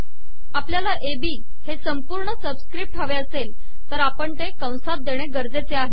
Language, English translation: Marathi, So if we want the product AB to come as the subscript we need to enclose it in braces